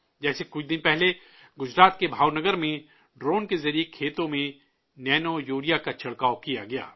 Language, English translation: Urdu, Like a few days ago, nanourea was sprayed in the fields through drones in Bhavnagar, Gujarat